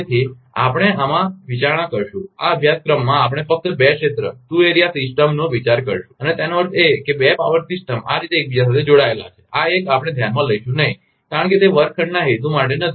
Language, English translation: Gujarati, So, we will consider in this, in this course, we will consider only two area system and that means, two power system interconnected like this, this one we will not consider because it is not for the classroom purpose